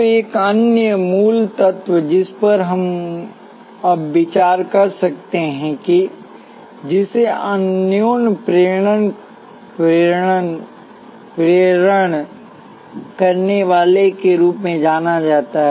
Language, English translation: Hindi, So, another basic element, which we can consider now, is what is known as a mutual inductor